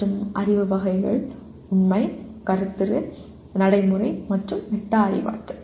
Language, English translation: Tamil, And Knowledge Categories are Factual, Conceptual, Procedural, and Metacognitive